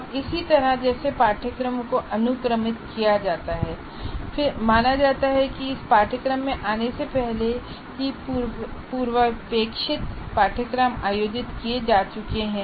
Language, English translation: Hindi, And similarly, as courses are sequenced, the prerequisite courses are supposed to have been already conducted before you come to this course